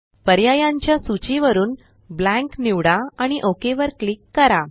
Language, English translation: Marathi, From the list of options, select Blank and click OK